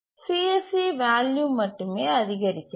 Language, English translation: Tamil, So, the CSE value only increases